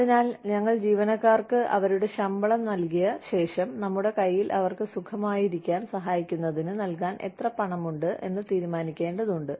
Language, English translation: Malayalam, So, we need to decide, that after, we give peoples their salaries, how much money, we have in hand, that we can give to our employees, to help them, feel comfortable